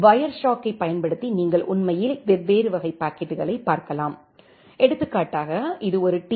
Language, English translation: Tamil, That way using Wireshark you can actually look into different type of packets say for example, you can see that this is a TCP SYN packets